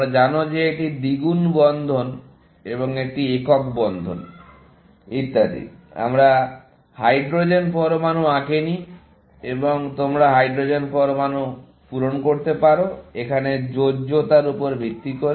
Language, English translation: Bengali, You know that this is double bond and this is single bond, and so on; we have not drawn the hydrogen atoms and you can fill in the hydrogen atoms, based on the valance here, remaining